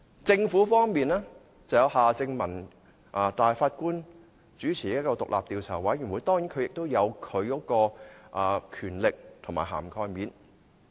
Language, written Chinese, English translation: Cantonese, 政府方面，由法官夏正民主持的獨立調查委員會，當然也有其權力和涵蓋範圍。, The Governments independent Commission of Inquiry chaired by former Judge Mr Michael John HARTMANN certainly has its powers and terms of reference